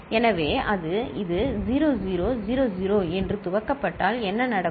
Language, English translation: Tamil, So, it is if it is initialised with say 0 0 0 0, what’ll happen